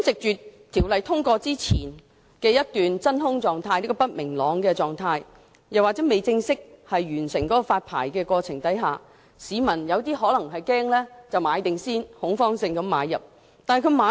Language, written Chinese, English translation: Cantonese, 在《條例草案》通過前一段不明朗的真空期，或在發牌過程未正式完成之前，部分市民可能會恐慌性買入龕位。, During the transitional period before the passage of the Bill in which uncertainty reigns and before the completion of the formal licensing process some members of the public may buy niches out of panic